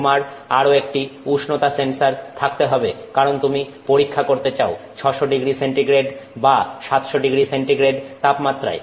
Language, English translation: Bengali, You have to also have a temperature sensor because let's say you want to do this experiment at 600 degree C or 700 degree C